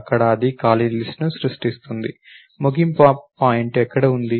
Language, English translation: Telugu, There it creates the empty list, where is the end point to